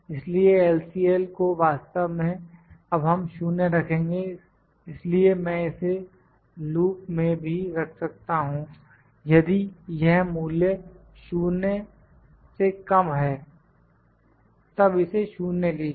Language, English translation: Hindi, L would actually we put as 0 now, so I can even put the if loop here, you can even put the if loop that if this value is less than 0, then take it 0